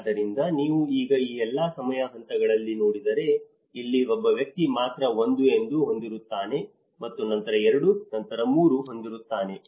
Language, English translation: Kannada, So, if you look at it now in all this time phases here it is only one person have 1; and then 2, then 3